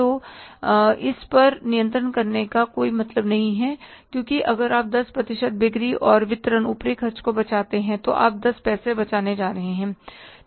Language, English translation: Hindi, So there's no point controlling this because even if you say 10% of selling a distribution overheads, how much you are going to save